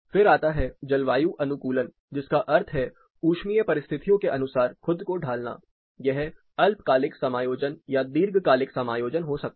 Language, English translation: Hindi, Then comes acclimatization which means adjusting to thermal conditions set of thermal condition, it may be short term adjustment or long term adjustment